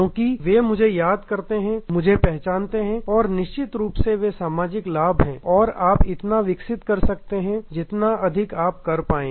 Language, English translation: Hindi, Because, they remember me, recognize me and those are the kind of social benefits of course, you can develop this much further you can develop